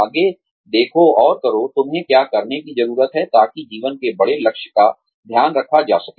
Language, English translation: Hindi, Look ahead and do, what you need to do, in order to, take care of the larger goal in life